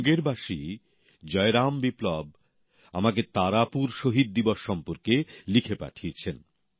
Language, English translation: Bengali, Jai Ram Viplava, a resident of Munger has written to me about the Tarapur Martyr day